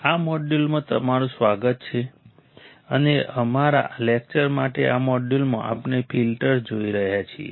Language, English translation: Gujarati, Welcome to this module, and in this module for our lecture, we are looking at filters